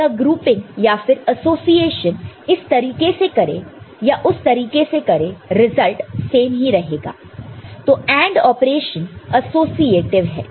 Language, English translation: Hindi, So, whether this grouping or association is done this way or the other way, result remains the same so, AND operation is associative